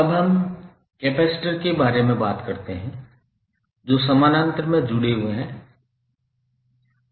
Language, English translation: Hindi, Now, let us talk about the capacitors which are connected in parallel